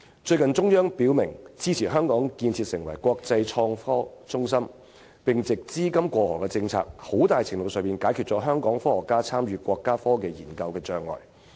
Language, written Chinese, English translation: Cantonese, 中央最近表明支持香港建設為國際創科中心，並藉"資金過河"政策，在很大程度上解決了香港科學家參與國家科技研究的障礙。, Recently the Central Authorities expressed clear support for developing Hong Kong into an international innovation and technology centre and the policy on allowing the cross - boundary flow of capital will be able to resolve the barriers faced by Hong Kong scientists in participating in the countrys technological research to a great extent